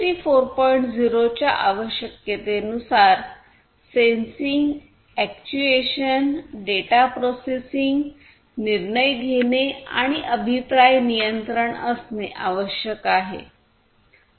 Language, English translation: Marathi, 0 requirements what is important is to have sensing actuation data processing decision making and feedback control